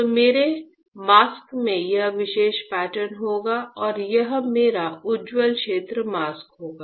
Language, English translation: Hindi, So, my mask would have this particular pattern and this will be my bright field mask